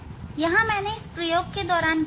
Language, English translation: Hindi, here what I have learnt during doing this experiment